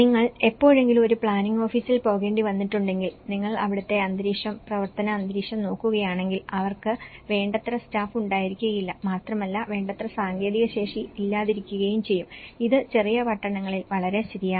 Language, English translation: Malayalam, If you ever happened to go a planning office and if you look at the atmosphere, the working atmosphere, it’s really they have a very less adequate staff and also not having an adequate technical capacity especially, this is very true in the smaller towns